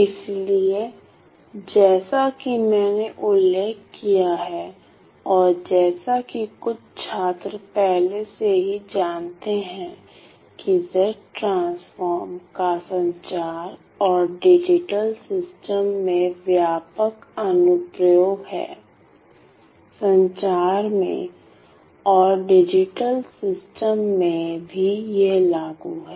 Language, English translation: Hindi, So, as I have mentioned and as some of the students may already know Z transforms have wide ranging applications in communications and digital systems; in communications and digital systems and it is also applicable